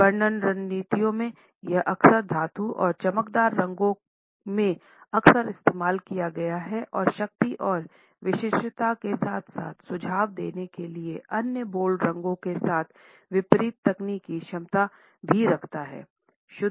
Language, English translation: Hindi, In marketing strategies, it has often been used in metallic and glossy shades often contrasted with other bold colors for suggesting power and exclusivity as well as technical competence